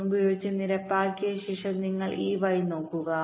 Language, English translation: Malayalam, now, once i have leveled this with one point one, you look at this y